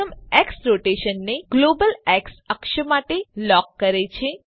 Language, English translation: Gujarati, The first X locks the rotation to the global X axis